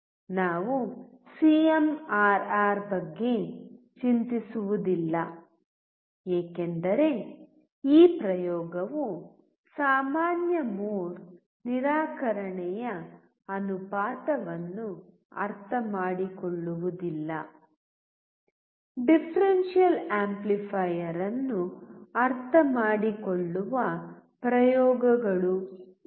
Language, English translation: Kannada, We will not worry about CMRR because this experiment is not to understand common mode rejection ratio; these are experiment to understand the differential amplifier right